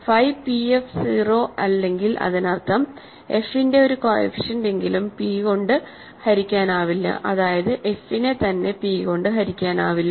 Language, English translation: Malayalam, So, if phi p f is not 0 that means, at least one coefficient of f is not divisible by p that means, f itself is not divisible by p